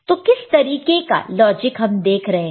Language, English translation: Hindi, So, what kind of logic do we see